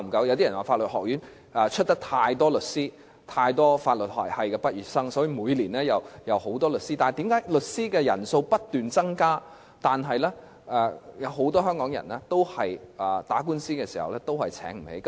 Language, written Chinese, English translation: Cantonese, 有些人說法律學院培訓了太多律師，由於有太多法律學系的畢業生，所以每年均有很多新律師，但為甚麼律師的人數不斷增加，很多香港人在打官司時卻仍然沒有能力聘請律師？, Some people said that the law schools have trained too many lawyers and as there are too many law graduates there should be many new lawyers each year but why is it that when the number of lawyers keeps increasing many Hongkongers still lack the means to hire a lawyer when they are involved in a lawsuit?